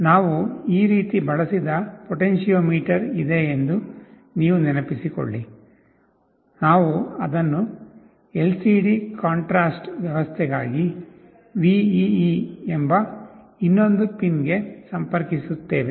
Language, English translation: Kannada, And of course, Vcc, GND and you recall there is a potentiometer that we used like this, we connect it to another pin called VEE for LCD contrast arrangement